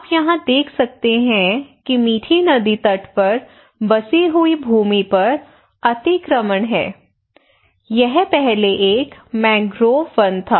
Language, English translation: Hindi, So you can see here more clearly that is encroached land on the settlement on Mithi riverbank it was earlier a mangrove forest